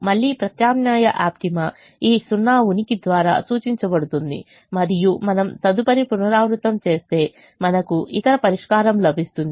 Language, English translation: Telugu, again, alternate optima is indicated by the presence of this zero and if we do the next iteration we will get the other solution